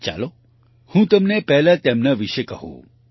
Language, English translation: Gujarati, Let me first tell you about them